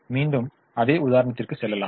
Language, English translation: Tamil, let us go back to the same example